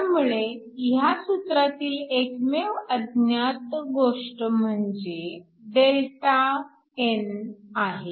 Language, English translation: Marathi, So, the only unknown in this expression is Δn